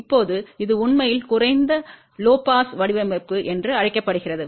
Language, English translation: Tamil, Now, this is a actually known as a low pass design